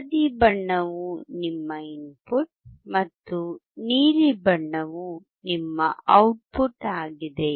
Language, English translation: Kannada, Yellow one is your input and blue one is your output